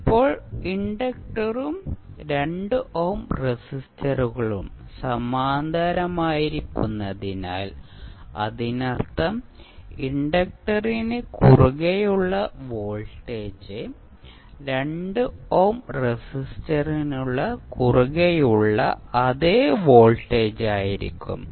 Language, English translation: Malayalam, Now, since the inductor and the 2 ohm resistors are in parallel that means whatever is the voltage coming across the inductor will be the same voltage which is coming across the 2 ohm resistor